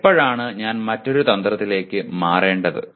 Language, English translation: Malayalam, When should I switch to another strategy